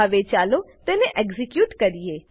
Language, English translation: Gujarati, Now lets execute it